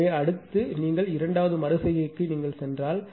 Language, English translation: Tamil, So, next if you move to the second iteration